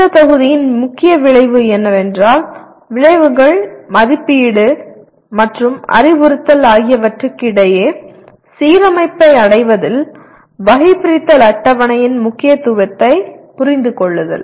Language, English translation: Tamil, Main outcome of this module is understand the importance of taxonomy table in attainment of alignment among outcomes, assessment and instruction